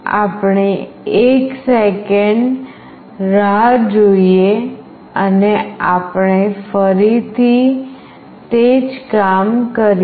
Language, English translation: Gujarati, We are waiting for 1 second and again we are doing the same thing repeatedly